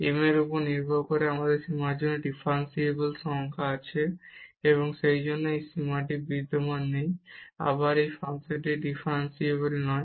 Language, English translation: Bengali, Depending on m we have a different number for the limit, and hence this limit does not exist, and again this function is not differentiable